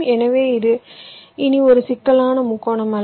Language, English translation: Tamil, this is called a complex triangle